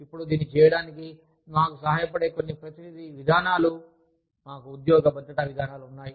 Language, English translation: Telugu, Now, some representative policies, that help us do this are, we have job security policies